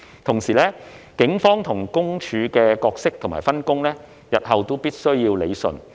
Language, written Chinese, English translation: Cantonese, 同時，警方與私隱公署的角色及分工，日後必須要理順。, Moreover the roles of the Police and PCPD as well as the division of labour between them must be rationalized in future